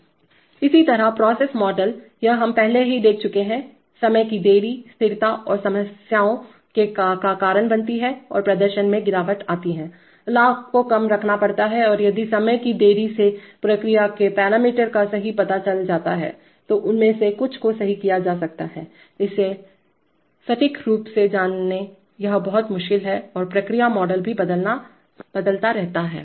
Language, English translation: Hindi, Similarly the process models, this we have already seen, time delay causes stability problems and degrades performance, gain has to be kept low and if the time delay the process parameters are known accurately then some of them may be corrected, it is very difficult to know it accurately and the process model also keeps shifting right